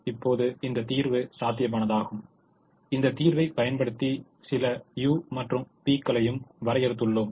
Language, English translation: Tamil, now this solution is feasible and using this solution, we also ah defined some u's and v's